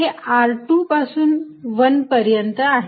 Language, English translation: Marathi, This is r from 2 to 1